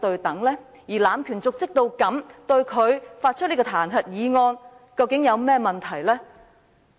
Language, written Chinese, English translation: Cantonese, 對一個濫權瀆職的人，對他提出彈劾議案，又有何問題？, What is wrong with initiating a motion to impeach a person who committed dereliction of duty?